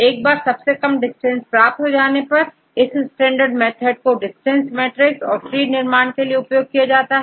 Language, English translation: Hindi, Once the smallest distance could find, then they can use this standard method to get the distance matrix as well as to get the trees